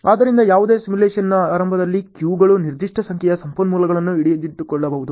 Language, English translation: Kannada, So, at the beginning of any simulation, queues can hold certain number of resources